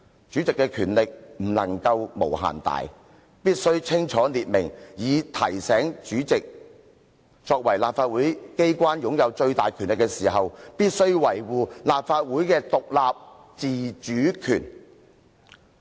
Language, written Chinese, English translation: Cantonese, 主席的權力不能無限大，必須清楚列明這些原則，以提醒主席作為立法會機關擁有最大權力的人時，必須維護立法會的獨立自主權。, The Presidents powers must not be boundless and it is necessary to clearly provide for these principles to remind the President that he who has the greatest powers in the legislature must defend the independence and autonomy of the Legislative Council